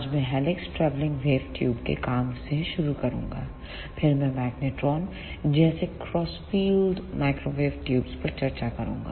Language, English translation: Hindi, Today I will start with working of helix travelling wave tubes, then I will discuss the cross field microwave tubes such as magnetron